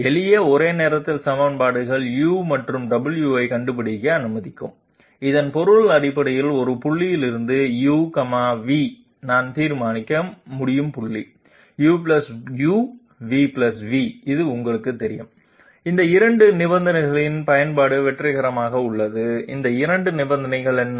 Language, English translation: Tamil, Simple simultaneous equations will allow us to find out Delta u and Delta w, which essentially means that from a point U, V, I can solve for point U + Delta u, v + Delta v which is going to you know have the application of these 2 conditions successfully, what are those 2 conditions